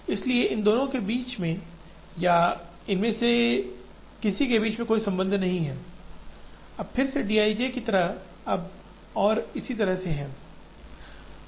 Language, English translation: Hindi, So, there is no connection between or amongst these or amongst these, now again the d i j’s are now like this and so on